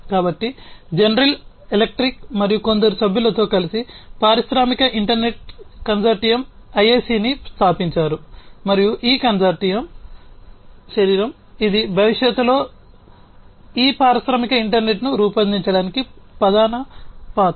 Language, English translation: Telugu, So, General Electric along with few other members founded the industrial internet consortium IIC and this consortium is the body, which is largely the main player for shaping up this industrial internet for the future